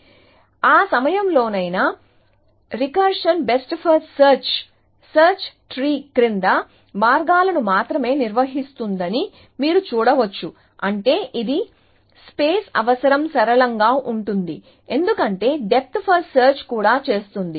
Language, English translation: Telugu, So, you can see that at any given point, recursive best first search maintains only one paths down the search tree, which means it is space requirement is going to be linear, because that is what the depth first search also does